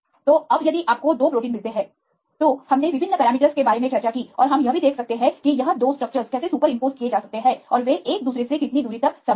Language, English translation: Hindi, So, now, if you get 2 proteins, we discussed about the various parameters and we can also see how far the 2 structures they can be super imposed and how far they are similar to each other